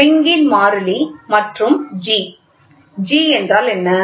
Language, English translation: Tamil, Spring constant and G; what is G